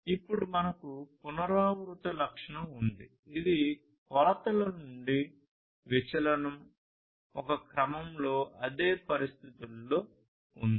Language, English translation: Telugu, Then we have the repeatability characteristic, which is the deviation from the measurements, in a sequence, under the same conditions